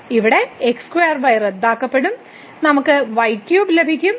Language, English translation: Malayalam, So, here this gets cancelled and you will get this value as 3